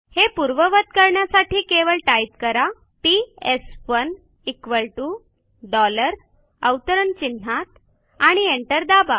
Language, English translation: Marathi, To revert back type PS1 equal to dollar within quotes and press enter